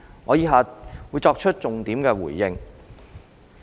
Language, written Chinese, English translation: Cantonese, 我以下會作重點回應。, I will give a focused response as follows